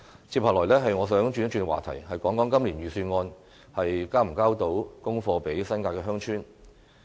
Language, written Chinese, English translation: Cantonese, 接下來，我想轉一轉話題，談談今年預算案能否向新界鄉村"交功課"。, Now I would like to change the topic of my speech . I will talk about whether the Budget this year can deliver on promises made to villages in the New Territories